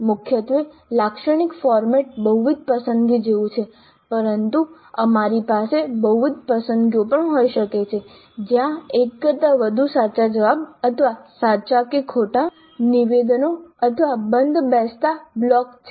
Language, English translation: Gujarati, Primarily the typical format is like multiple choice but we could also have multiple selections where there is more than one right answer or true or false statements or matching blocks